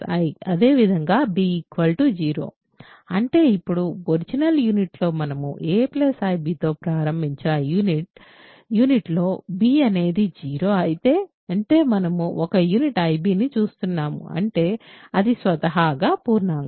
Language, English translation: Telugu, Similarly, if b is 0 then; that means, in the original unit that we started with a i b a plus ib, if b is 0; that means, we are looking at a unit ia; that means, it is an integer by itself